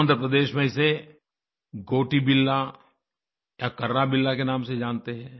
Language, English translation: Hindi, In Andhra Pradesh it is called Gotibilla or Karrabilla